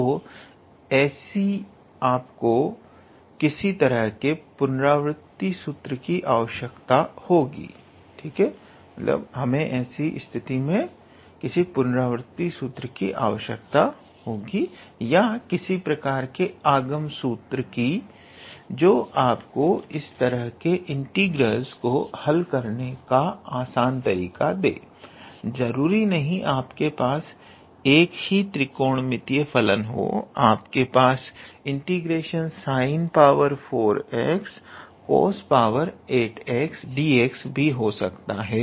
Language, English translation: Hindi, So, in such cases you need some kind of how to say iterative formula or some kind of an induction formula that will how to say give you an easy way to calculate these type of integrals not only with one trigonometrical function, you could also have sine to the power 4 x dx, and then cos to the power 8 x dx